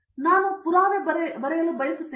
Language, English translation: Kannada, So I want to write a proof